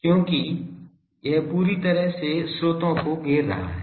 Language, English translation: Hindi, Because this is completely enclosing the sources